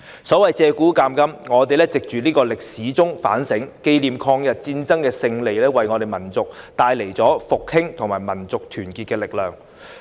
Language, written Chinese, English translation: Cantonese, 所謂借古鑒今，我們藉歷史反省，紀念抗日戰爭的勝利為我們民族帶來了復興及民族團結的力量。, We should reflect on the lessons that we can learn from history . Commemorating the victory of the Chinese Peoples War of Resistance against Japanese Aggression is the source of power for the revival and unity of the Chinese nation